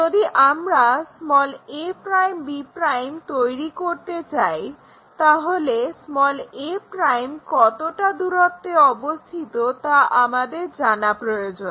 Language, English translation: Bengali, And, we know the because if we want to construct a' b' we need to know how far this a' is located